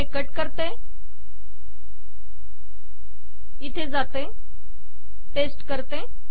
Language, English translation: Marathi, So I have cut, lets paste it here